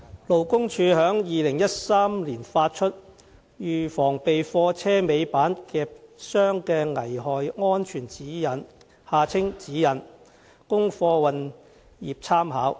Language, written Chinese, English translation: Cantonese, 勞工處於2013年發出《預防被貨車尾板夾傷的危害安全指引》，供貨運業參考。, The Labour Department LD published in 2013 the Guidance Notes on Prevention of Trapping Hazards of Tail Lifts Notes for reference by members of the freight transport sector